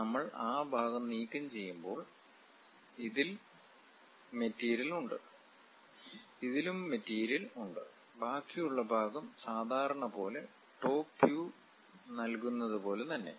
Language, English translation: Malayalam, When we are removing that part, this one having material, this one having material; the remaining part is as usual like top view whatever it gives